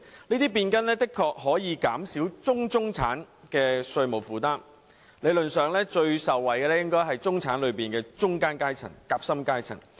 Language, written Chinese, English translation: Cantonese, 這些變更的確能減少"中中產"的稅務負擔；理論上，最受惠的應該是中產內的夾心階層。, These changes can definitely reduce the tax burden on the mid - middle class; in theory it is the sandwich class in the middle class that should benefit the most